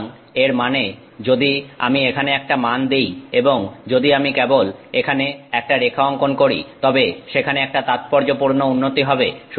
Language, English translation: Bengali, So, this means if I take a value here and if I just draw a line here, this means there is significant improvement